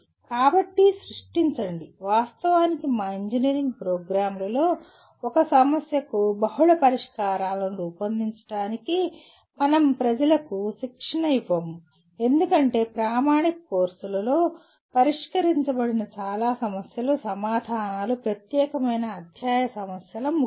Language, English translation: Telugu, So create, actually in our engineering programs we do not train people for creating multiple solutions to a problem because most of the problems that are addressed in the standard courses are end of the chapter problems where the answers are unique